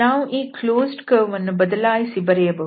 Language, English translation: Kannada, We can replace this closed curve here